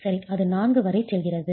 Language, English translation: Tamil, It goes all the way up to 4